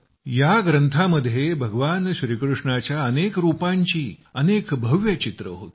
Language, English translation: Marathi, In this there were many forms and many magnificent pictures of Bhagwan Shri Krishna